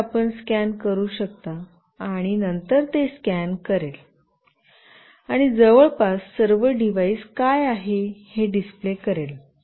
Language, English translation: Marathi, So, here you can scan, and then it will scan and will actually display what all devices are nearby